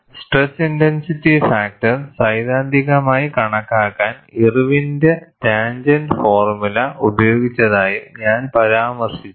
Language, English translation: Malayalam, I also mentioned, that Irwin's tangent formula was used, to theoretically calculate the stress intensity factor